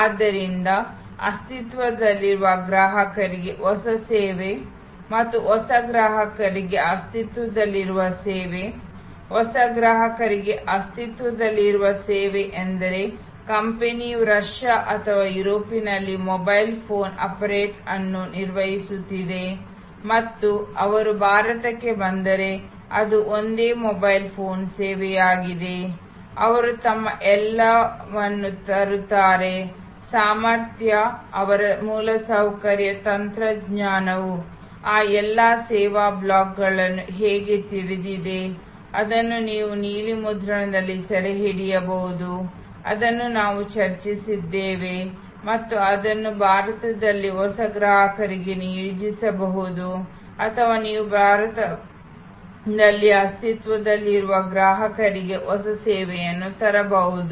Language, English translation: Kannada, So, new service to existing customer and existing service to new customer, existing service to new customer means that a company’s operating a mobile phone operator in Russia or in Europe and they come to India it is a same mobile phone service, they bring all their capability, they know how their infrastructure the technology all those service blocks, which you can capture on a blue print, which we were discussing and the deploy it for new customers in India or you can bring a new service to the existing customer in India